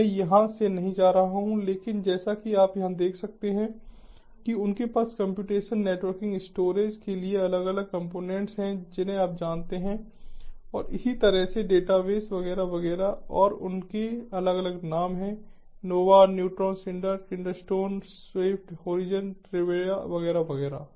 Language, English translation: Hindi, i am not going to go through but as you can see over here, they have different components for computation, networking, storage, you know, and so on, and so for database, etcetera, etcetera, and they have different names for each of them: nova, neutron, cinder, glands, keystone, swift, horizon, trove, etcetera, etcetera